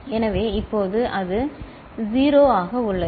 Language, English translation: Tamil, So, now it is 0